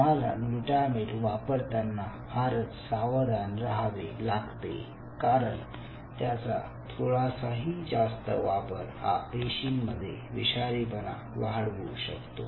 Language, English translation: Marathi, so you have to be very cautious with the glutamate, because a little bit of a higher glutamate could lead to toxicity within their cells in nature